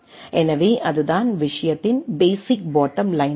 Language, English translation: Tamil, So, that is the basic bottom line of the thing